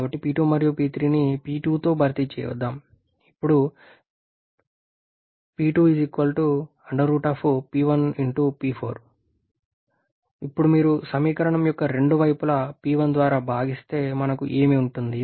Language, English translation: Telugu, So let us replace P2 and P3 with P2 which gives P2 to be equal to root over P1, P4